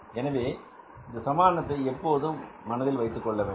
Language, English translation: Tamil, So you always keep this equation in mind